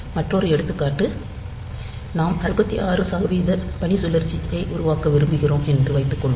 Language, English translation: Tamil, Another example suppose we want to make a duty cycle of 66 percent